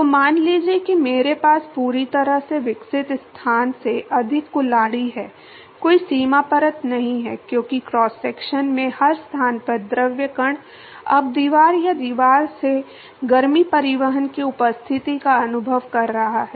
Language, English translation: Hindi, So, supposing I have a x greater than the fully developed location, is no boundary layer because fluid particle at every location in the cross section is now experiencing the presence of heat transport from the wall or to the wall